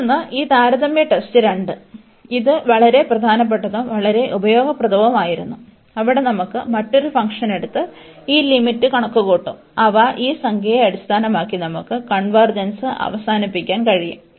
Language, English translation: Malayalam, And another this comparison test 2, which was also very important and very useful where we of take a another function g and compute this limit, and they based on this number k, we can conclude the convergence